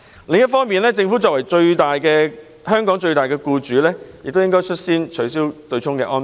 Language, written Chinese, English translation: Cantonese, 另一方面，政府作為香港最大僱主，應率先取消對沖安排。, On the other hand the Government as the biggest employer in Hong Kong should take the lead in abolishing the offsetting arrangement